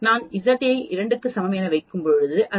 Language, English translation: Tamil, Similarly, when I put Z is equal to 3, it gives me 0